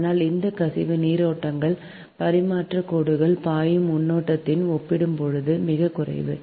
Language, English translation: Tamil, this leakage currents are negligible as compared to the current flowing in the transmission lines